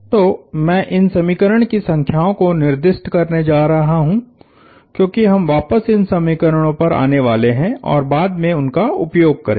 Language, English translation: Hindi, So, I am going to designate these equation numbers, because we are going to come back and use them later